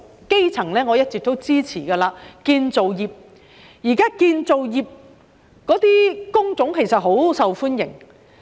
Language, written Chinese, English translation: Cantonese, 基層方面，我一直支持計劃涵蓋建造業。現時建造業的工種很受歡迎。, As far as the grass roots are concerned I have all along supported the scheme to cover the construction industry of which the jobs are now very popular